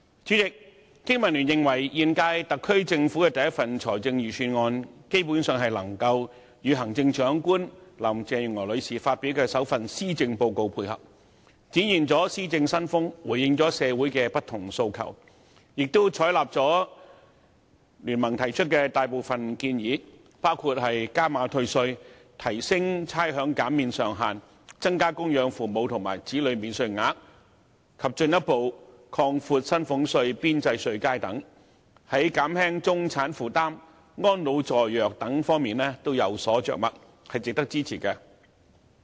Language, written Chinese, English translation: Cantonese, 主席，經民聯認為，本屆特區政府的第一份財政預算案，基本上能夠與行政長官林鄭月娥女士發表的首份施政報告配合，展現了施政新風，回應了社會的不同訴求，亦採納了聯盟提出的大部分建議，包括加碼退稅、提升差餉減免上限、增加供養父母和子女免稅額，以及進一步擴闊薪俸稅邊際稅階等，而且在減輕中產負擔和安老助弱等方面都有所着墨，值得支持。, Chairman BPA holds that the first Budget announced by the Special Administrative Region SAR Government of the current term basically coincides with the first Policy Address delivered by the Chief Executive Mrs Carrie LAM in demonstrating a new style of administration and answering the various aspirations of the community . Moreover it has adopted most of the proposals put forward by BPA including increasing the amount of tax rebate raising the ceiling of rates concession increasing the amounts of dependent parent and child allowances further widening the tax bands for salaries tax and so on . The Budget merits support as it covers such areas as easing the burden on the middle class providing care for the elderly and support for the disadvantaged and so on